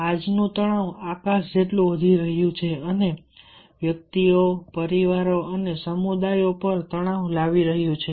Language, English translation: Gujarati, todays, stress is sky rocketing at an alarming rate and putting strain on individuals, families and communities